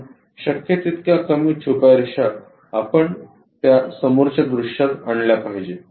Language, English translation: Marathi, So, as many small hidden lines as possible we should bring it to that front view